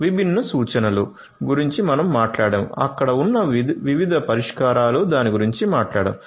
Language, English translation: Telugu, The different references, we have talked about; different solutions that are there, we are talked about